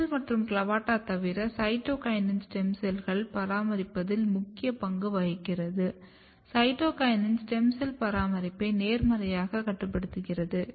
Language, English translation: Tamil, Apart from the WUSCHEL and CLAVATA cytokinin is also playing very very important role in maintaining the stem cell pools; and you know that this is the biosynthesis enzymes cytokinin is having a positive role on the stem cell maintenance